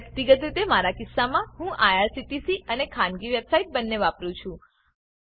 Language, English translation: Gujarati, Personally in my case I use both irctc and private website